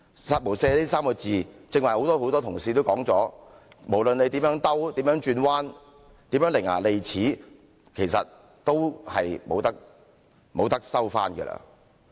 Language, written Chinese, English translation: Cantonese, "殺無赦"這3個字，剛才很多同事都說過，無論你如何辯解，如何轉彎，如何伶牙俐齒，都不能收回。, As pointed out by many Members the remark killing with no mercy can never be withdrawn no matter how he has explained and twisted the meaning with his rhetoric